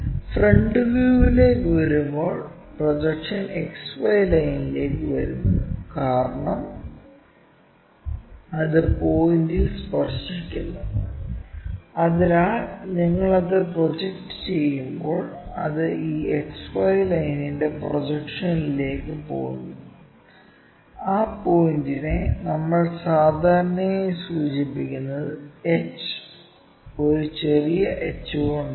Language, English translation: Malayalam, And when it comes to front view, straight away the projection comes to XY line, because it is touching the point; so when you are projecting it, it goes on to that projection of that XY line and that point we usually denote it by h, a small h